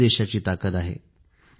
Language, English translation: Marathi, This is the nation's strength